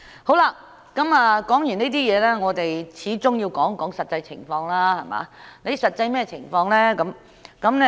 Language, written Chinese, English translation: Cantonese, 說完這些問題，我們始終要談談實際情況，甚麼是實際情況呢？, After all we still have to talk about the actual situation after finishing with these issues . What is the actual situation?